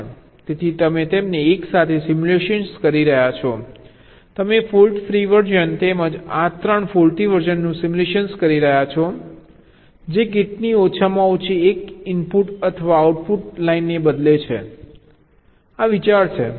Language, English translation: Gujarati, you are simulating the fault free version as well as this three faulty versions which change at least one input or output lines of the gate